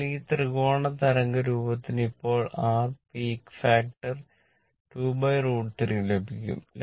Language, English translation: Malayalam, So, for this triangular wave form then you will get your ah peak factor 2 by root 3